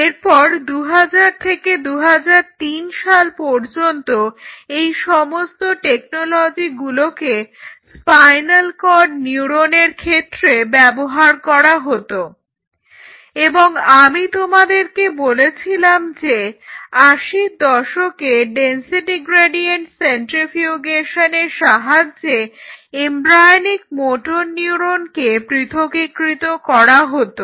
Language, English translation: Bengali, Then between 2000 and 2003 much of these technologies were translated for spinal cord neurons and I told you around 1980s embryonic motor neuron separation followed density gradient centrifugation